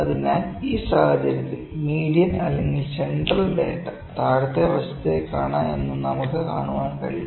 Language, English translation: Malayalam, So, we can see that in this case, the median, the central data is quite towards the lower side